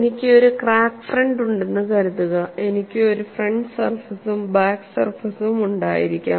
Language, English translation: Malayalam, Suppose I have a crack front, I can have a front surface as well as the back surface